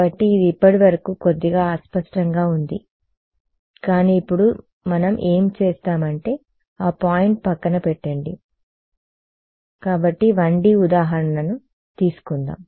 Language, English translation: Telugu, So, it has been a little vague so far, but now what we will do is drive home the point let us take a 1D example so